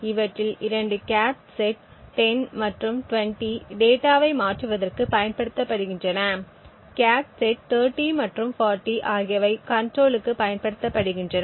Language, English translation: Tamil, 2 of these cache sets 10 and 20 are used for transferring data while the cache set 30 and 40 are used for control